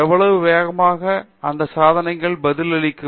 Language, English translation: Tamil, How fast will these devices respond